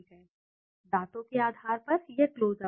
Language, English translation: Hindi, In basis of whitens teeth it is Close Up